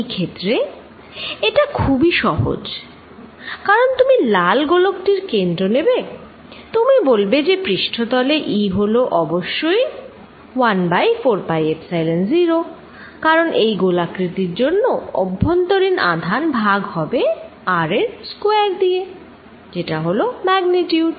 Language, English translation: Bengali, In this case, it is very easy, because you going to take the center of the red sphere, you are going to say that E at the surface is; obviously, 1 over 4 pi Epsilon 0, because all is spherical some charge inside divided by R square that is the magnitude